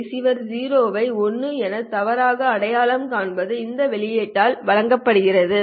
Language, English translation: Tamil, So the receiver mistakenly identifying a 0 as a 1 is given by this expression